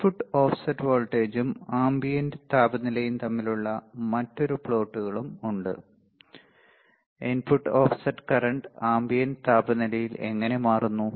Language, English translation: Malayalam, There are another plots called input offset voltage versus ambient temperature, how input offset current, how input offset current changes with ambient temperature